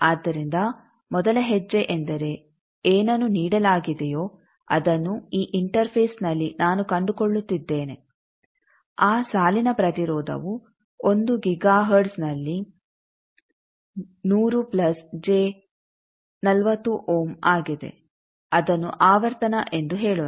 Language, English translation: Kannada, So, first step is what is that given that at this interface I am finding that line impedance is 100 plus j 40 ohm at 1 giga hertz let us say frequency